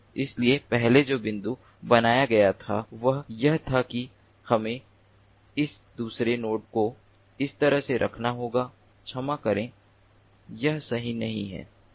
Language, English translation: Hindi, so the point that was made earlier was that we have to place this another node in such a way